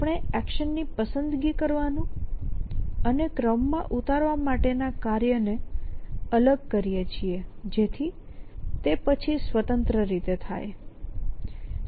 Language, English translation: Gujarati, So, we separate the task of selecting in action and infusing an ordering on the action essentially so that is then independently